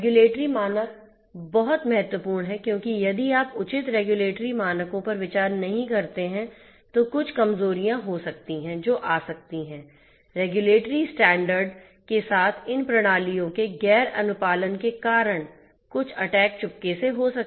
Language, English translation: Hindi, Regulatory standards are very important because if you do not consider the proper regulatory standards, there might be some vulnerabilities that might come that might some attacks might sneak in because of those you know non compliance of these systems with the regulatory standard